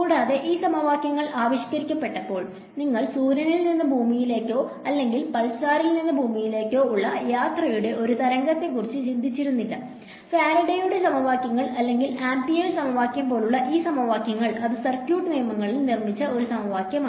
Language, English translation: Malayalam, And, keep in mind these equations when they were formulated nobody was thinking about a wave of traveling from you know sun to earth or from some pulsar to earth; these equations like Faraday’s equation or amperes equation it was an equation built on circuit laws right